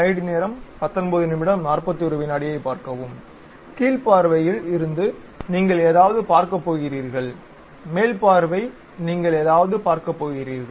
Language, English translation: Tamil, From bottom view you are going to see something; top view you are going to see something